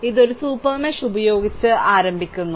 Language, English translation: Malayalam, So, it is computing with beginning with a super mesh